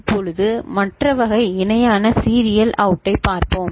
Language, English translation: Tamil, Now, let us look at the other variety parallel in serial out ok